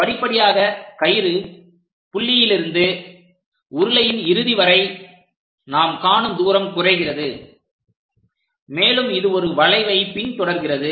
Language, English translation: Tamil, Gradually, the distance, the apparent distance what we are going to see from the rope point to that end of the cylinder decreases and it follows a curve named involutes